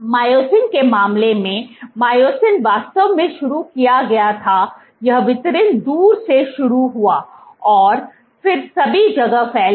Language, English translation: Hindi, In the case of myosin; myosin was actually started this distribution started from far off and then all over the place